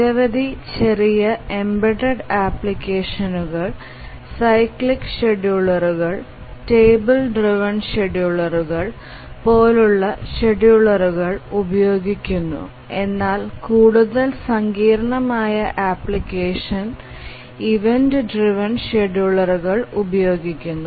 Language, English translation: Malayalam, Many small embedded applications use schedulers like cyclic schedulers or table driven schedulers but more sophisticated applications use event driven schedulers